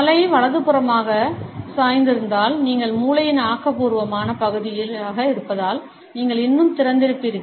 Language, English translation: Tamil, If the head is tilted to the right, you will feel more open, as you are existing the creative part of the brain